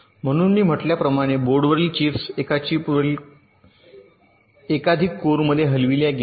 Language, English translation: Marathi, so here, as i said, that chips on boards have been moved to multiple course on a chip and we use very similar concepts